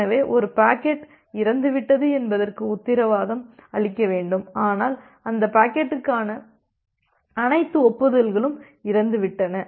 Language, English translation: Tamil, So, we need to guarantee that not only a packet is dead, but all acknowledgement to that packets are also dead